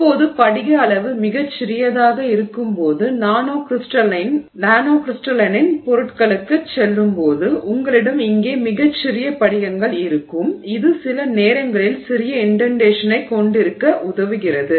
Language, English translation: Tamil, Now when you go to nanocrystalline materials when the crystal size is very small, when you have very small crystals there, it sometimes helps to have small indentation